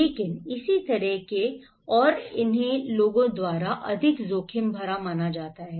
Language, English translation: Hindi, But similar kind of and these are considered to be more risky by the people